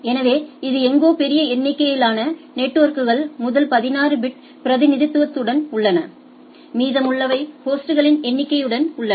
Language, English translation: Tamil, So, it is somewhere it is something large number of networks are with first 16 bit representation and rest are with the number of hosts